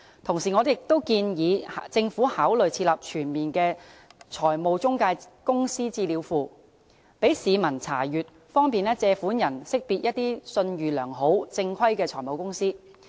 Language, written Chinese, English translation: Cantonese, 同時，我建議政府考慮設立全面的財務中介公司資料庫，供市民查閱，方便借款人識別信譽良好，正規的財務中介公司。, Meanwhile I propose that the Government should consider the establishment of a comprehensive database on financial intermediaries for public inspection and facilitate borrowers in identifying formal financial intermediaries with a good reputation